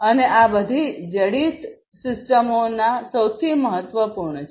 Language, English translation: Gujarati, And this is the most important of all embedded systems